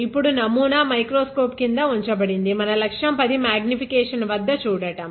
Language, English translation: Telugu, Now, the sample is kept, and objective is focused at 10 x magnification